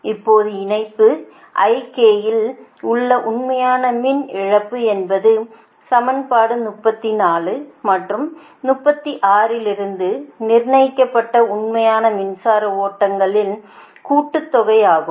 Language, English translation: Tamil, the real power loss in the line ik is the sum of the real power flows determined from equation thirty four and thirty six, right